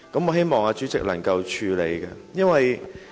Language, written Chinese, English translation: Cantonese, 我希望主席能夠處理此事。, I hope the President will handle this matter